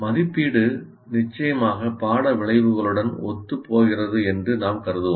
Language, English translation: Tamil, So let's say we assume assessment is in alignment with the course outcomes